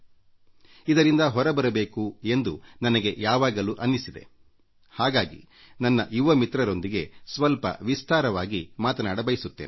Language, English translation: Kannada, And I have always felt that we should come out of this situation and, therefore, today I want to talk in some detail with my young friends